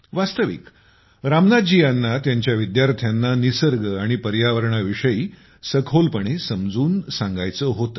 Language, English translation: Marathi, Actually, Ramnath ji wanted to explain deeply about nature and environment to his students